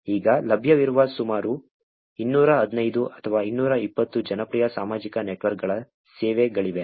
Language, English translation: Kannada, There are about 215 or 220 popular social networks services that are available now